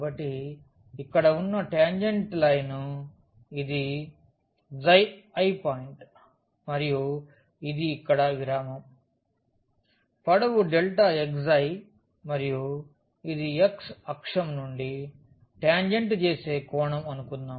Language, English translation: Telugu, So, this is the tangent line at this x i i point and this is the interval length here delta x i and this is suppose the angle which tangent makes from the x axis